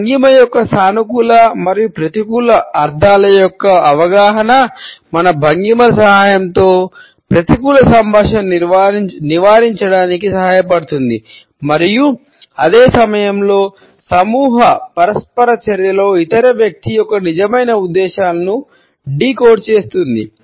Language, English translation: Telugu, An understanding of the positive and negative connotations of posture helps us to avoid a negative communication with the help of our postures and at the same time decode the true intentions of the other person in a group interaction